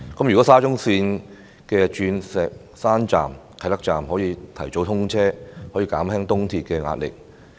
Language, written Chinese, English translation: Cantonese, 如果沙中線的鑽石山站、啟德站提早通車，將可以減輕東鐵線的壓力。, If Diamond Hill Station and Kai Tak Station of SCL can be commissioned earlier . The pressure on ERL can be mitigated